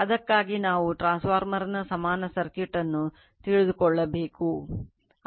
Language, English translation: Kannada, For that we need to know the equivalent circuit of a transformer, right